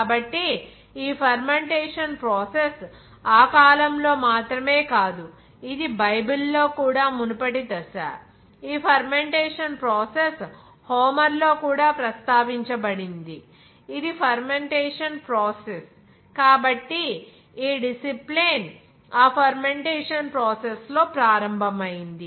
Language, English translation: Telugu, So this fermentation not only that period but it was also earlier stage in Bibles, it is mentioned that this fermentation process and also in Homer, it is mentioned that fomentation process so this discipline began as something of that fermentation process